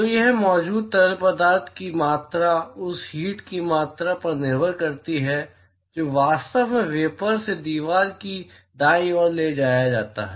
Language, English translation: Hindi, So, the amount of fluid which is present here depends upon the amount of heat that is actually transported from the vapor to the wall right